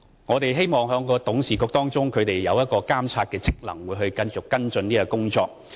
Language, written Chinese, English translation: Cantonese, 我們希望董事會的監察職能可以繼續跟進這項工作。, We hope that the monitoring function of the URA Board will enable its members to follow up this work